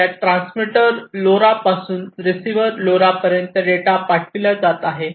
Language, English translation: Marathi, So, from this transmitter LoRa to the receiver LoRa, the data are being sent transmitter to the receiver LoRa, the data are being sent